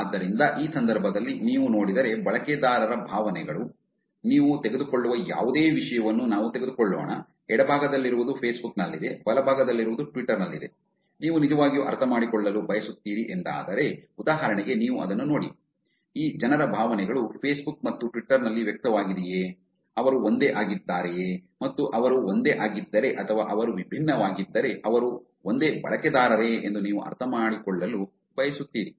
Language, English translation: Kannada, So, in this case if you see the sentiments of the user, let's take any topic that you take, the one on the left is on Facebook, the one on the right is on Twitter, you really want to understand whether the sentiment, for example, just look at this, you want to understand whether the sentiments of these people are expressed on Facebook and Twitter, are they same